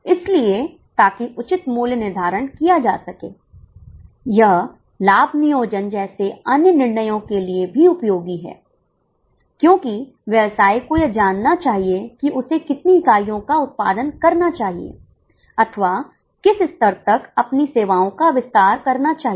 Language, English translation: Hindi, It is also useful for other decisions like profit planning because entity should know how much units it should produce or up to what level it should extend its service